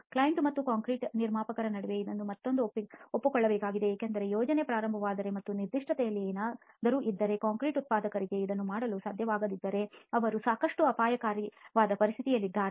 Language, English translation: Kannada, Again this has to be agreed upon between the client and the concrete producer because if the project starts something is then the specification, the concrete producer is not able to make it, it is going to be quite a dicey situation